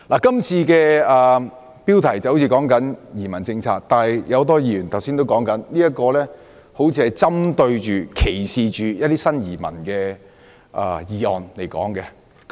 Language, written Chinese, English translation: Cantonese, 今次討論的標題雖然是移民政策，但很多議員剛才也指出，這議案似乎針對及歧視新移民。, Although the discussion today is about the immigration policy as many Members pointed out just now the motion seems to target at and discriminate against the new immigrants